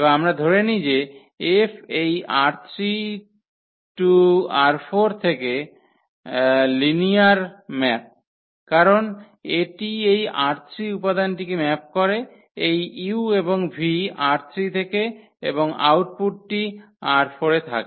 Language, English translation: Bengali, And we assume that this F is a linear map from this R 3 to R 4 because it maps this element R 3, this u and v are from R 3 and the output is in R 4